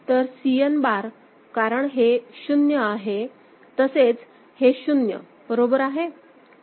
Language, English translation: Marathi, So, Cn bar because it is 0 so, together it is 0 ok